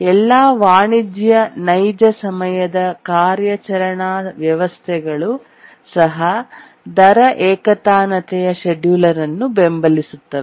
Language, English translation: Kannada, Even all commercial real time operating systems do support rate monotonic scheduling